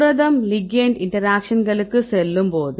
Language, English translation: Tamil, So, when you go to the protein ligand interactions right